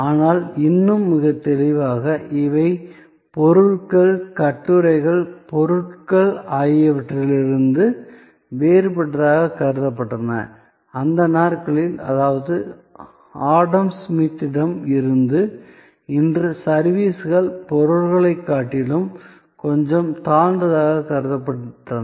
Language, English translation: Tamil, But, yet very distinctly, these were considered different from goods, articles, objects and in those days, I mean right from Adam Smith today, services were considered to be a little inferior to goods